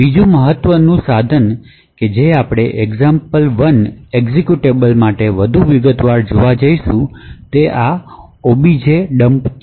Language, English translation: Gujarati, actually look at to go more into detail about the example 1 executable is this objdump